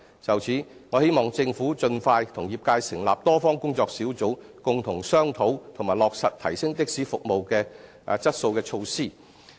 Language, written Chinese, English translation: Cantonese, 就此，我希望政府盡快與業界成立多方工作小組，共同商討及落實提升的士服務質素的措施。, In this connection I hope that the Government can set up a multi - party working group with the trade such that they can discuss together and implement some measures to enhance the quality of taxi services